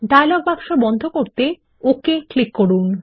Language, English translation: Bengali, Click OK to close the dialog box